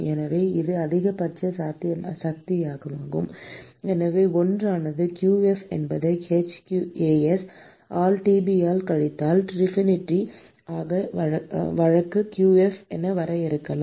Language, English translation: Tamil, So, this is the maximum possible and therefore, 1 can define efficiency as qf divided by hAs into Tb minus Tinfinity